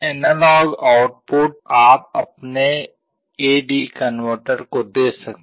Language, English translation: Hindi, The analog output you can feed to your A/D converter